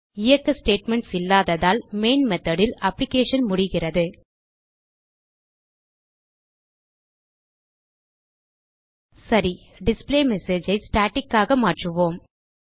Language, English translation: Tamil, Since there are no statements left to execute, in the main method the application terminates Alright now let us make displayMessage as static